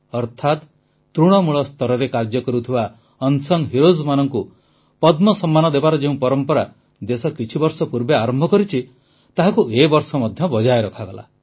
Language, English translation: Odia, Thus, the tradition of conferring the Padma honour on unsung heroes that was started a few years ago has been maintained this time too